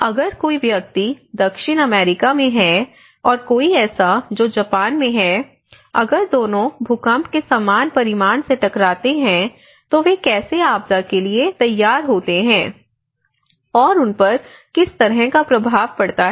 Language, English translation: Hindi, Because someone who is in South America and someone who is in Japan, if both of them are hit by the similar magnitude of earthquake, how they are prepared, how they are prepared, so what kind of impact here, what kind of impact here